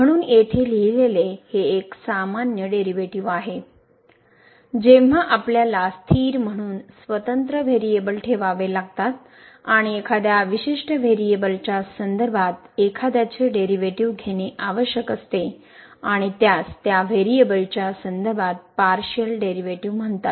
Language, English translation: Marathi, So, as written here it is a usual derivative, when we have to keep other independent variable as variables as constant and taking the derivative of one particular with respect to one particular variable and this is called the partial derivative with respect to that variable